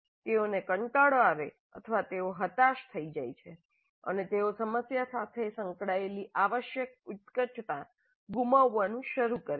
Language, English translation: Gujarati, They become bored or they become frustrated and they start losing the passion required to engage with the problem